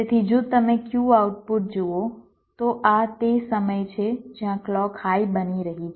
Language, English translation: Gujarati, so if you look at the q output, this is the time where clock is becoming high